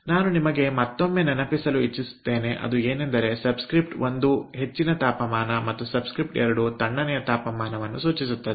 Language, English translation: Kannada, again, i like to remind you that one subscript, ah, indicates high temperature and subscript two indicates the low temperature